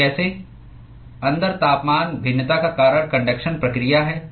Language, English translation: Hindi, what causes the temperature variation inside is the conduction process